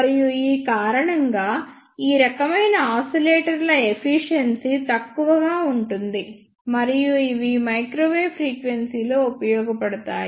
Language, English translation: Telugu, And because of this the efficiency of these type of oscillators is low and these are useful below microwave frequency